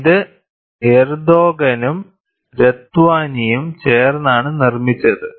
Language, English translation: Malayalam, It is given like this, this is by Erdogan and Ratwani